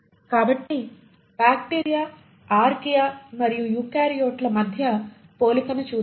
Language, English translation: Telugu, So let us look at the comparison against bacteria, Archaea and eukaryotes